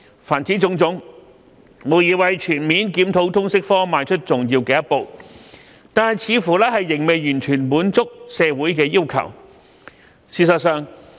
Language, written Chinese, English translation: Cantonese, 凡此種種，無疑為全面檢討通識科邁出重要的一步，但卻似乎仍未完全滿足社會要求。, This is undoubtedly an important step towards a comprehensive review of the LS subject but it seems to have failed to fully meet the demands of the community